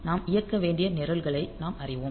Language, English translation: Tamil, So, we know the programs that we need to execute